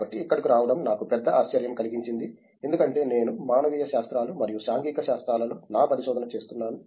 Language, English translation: Telugu, So, coming here was a was a big surprise for me, because precisely because I do my research in humanities and social sciences